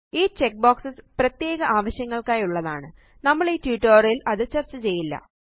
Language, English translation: Malayalam, These check boxes are for special purposes, which we will not discuss in this tutorial